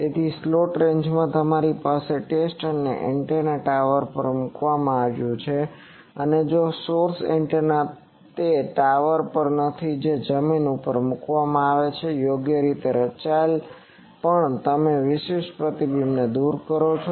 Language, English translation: Gujarati, So, in slant ranges, you have the test antenna is put on a tower and source antenna is not on a tower it is on the ground it is put and by suitably designed also you remove the specular reflections